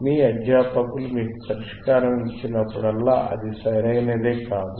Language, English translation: Telugu, It is not that always whenever a teacher gives you a solution, it may beis correct